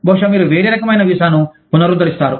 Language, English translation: Telugu, Maybe, you renew a different kind of visa